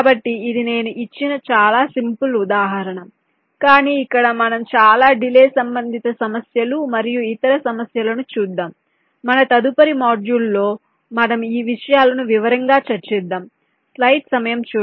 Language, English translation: Telugu, so this is just a very simple example i have given, but here we shall be looking at much more delay, ah, delay related issues and other problems there in in our next modules, where we discussed these things in detail